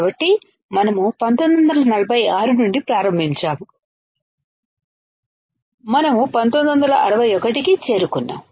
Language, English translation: Telugu, So, we started from 1946, we reached to 1961